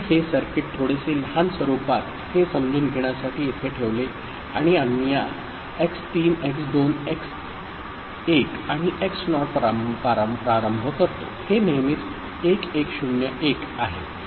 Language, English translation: Marathi, So, this circuit in a bit smaller form placed it here for easier understanding and we start with this x3 x2 x1 and x naught, it is always there 1101